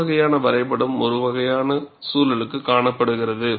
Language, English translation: Tamil, And this kind of a graph, is seen for a particular kind of environment